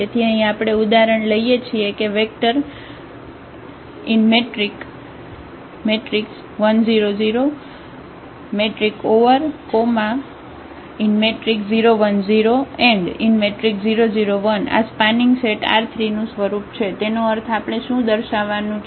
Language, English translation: Gujarati, So, the example here we are considering the vectors 1 0 0, 0 1 0 and 0 0 1 this form a spanning set of R 3 meaning what we have to show